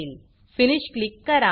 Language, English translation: Marathi, And Click Finish